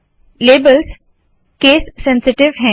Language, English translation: Hindi, The labels are case sensitive